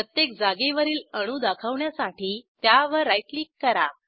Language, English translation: Marathi, Right click at each position to show atoms